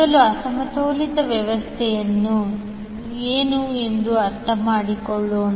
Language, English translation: Kannada, First let us understand what is unbalanced system